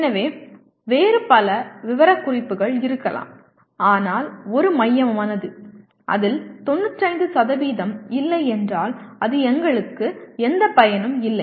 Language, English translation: Tamil, So there may be several other specifications but one central one, if it does not have 95% it is of no use to us